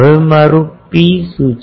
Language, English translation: Gujarati, Now, what is my rho